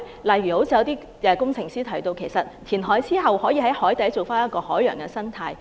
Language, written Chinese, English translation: Cantonese, 例如有工程師提到，填海之後，可以在海底重構一個海洋生態環境。, For example some engineer has suggested that a marine ecological environment can reconstructed after reclamation